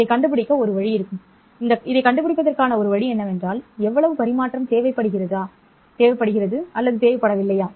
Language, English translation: Tamil, One way of finding out this one would be to, I mean one way of finding this is to ask how much transmission is required